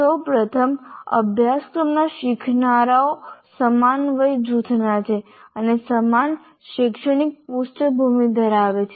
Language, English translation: Gujarati, First of all, all learners of a course belong to the same age group and have similar academic background